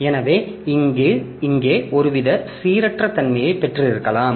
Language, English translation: Tamil, So, here we have got some amount of randomness